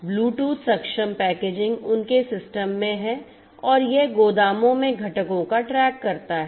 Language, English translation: Hindi, Bluetooth enabled packaging is there in their system and it tracks the components in the warehouses